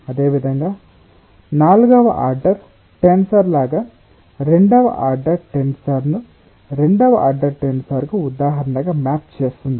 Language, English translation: Telugu, similarly, like a fourth order tensor maps a second order tensor on to a second order tensor, like that as an example